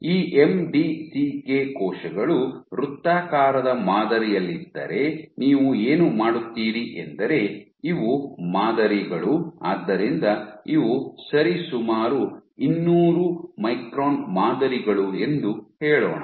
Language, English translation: Kannada, So, you played this cell some circular pattern and you can what you do is, these are patterns so let us say these are roughly 200 micron patterns